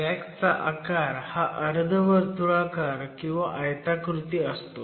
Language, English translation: Marathi, One is a semicircular shape and the other one is a rectangular shape